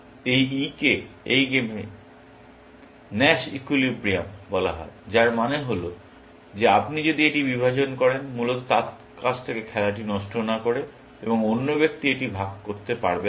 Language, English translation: Bengali, This E is called the Nash equilibrium in this game, which means that if you divide from this, rather the other person cannot divide from it, without spoiling the game from him, essentially